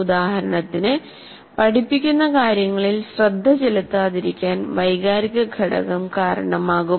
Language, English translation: Malayalam, For example, emotional factor can influence you not to pay attention to what is being taught